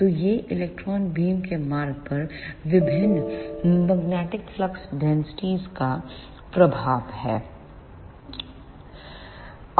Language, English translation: Hindi, So, this is the effect of different magnetic flux densities on the path of electron beam